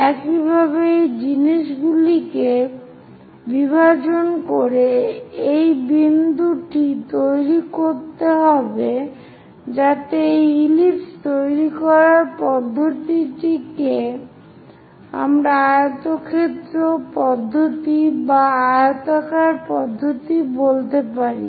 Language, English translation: Bengali, Similarly, this point has to be constructed by division of these things so that one will be in a position to complete the ellipse and this method what we call rectangle method or this oblong method